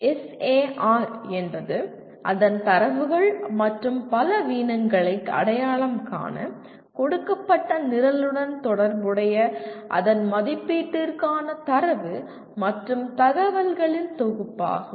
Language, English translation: Tamil, SAR is a compilation of such data and information pertaining to a given program for its assessment identifying its strengths and weaknesses